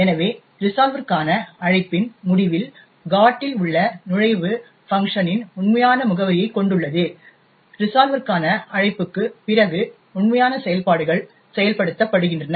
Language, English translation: Tamil, Thus, at the end of the call to the resolver, the entry in the GOT contains the actual address of func, after the call to the resolver the actual functions get invoked